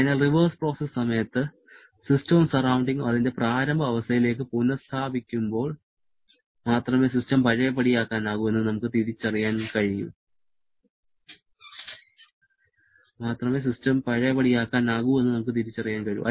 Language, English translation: Malayalam, So, we can identify system to be reversible only when during the reverse process both the system and the surrounding has been restored back to its initial condition